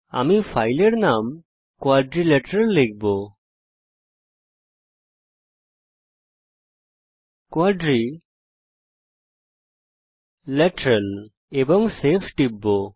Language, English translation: Bengali, I will type the filename as quadrilateral click on Save